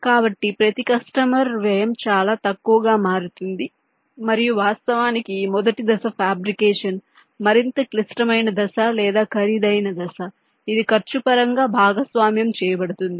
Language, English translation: Telugu, ok, so the per customers cost become much less and in fact this first step of fabrication is the more complex step or the more expensive step which is shared in terms of cost